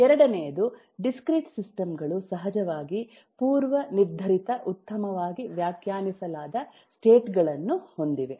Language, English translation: Kannada, the second is, of course, discrete systems have predefined well defined states